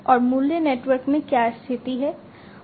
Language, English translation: Hindi, And what is the position in the value network